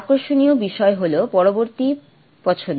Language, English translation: Bengali, What is interesting is the next choice